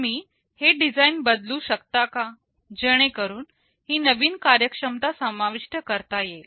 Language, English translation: Marathi, Can you modify this design so that this added functionality can be incorporated